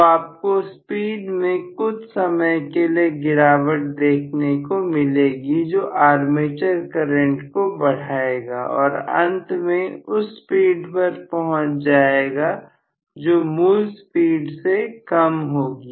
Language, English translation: Hindi, So, you may see a small transient reduction in the speed that will essentially make the armature current increase and ultimately it will settle down at a speed which is less than the original speed